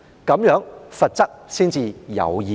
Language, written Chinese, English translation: Cantonese, 這樣，罰則才會有意義。, Only in this way will the penalty be meaningful